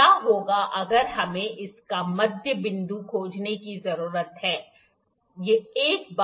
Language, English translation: Hindi, What if we need to find the midpoint of this, ok